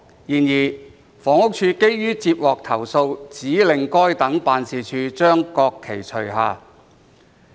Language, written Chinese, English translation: Cantonese, 然而，房屋署基於接獲投訴，指令該等辦事處將國旗除下。, However the Housing Department HD on account of having received complaints ordered such offices to remove the national flag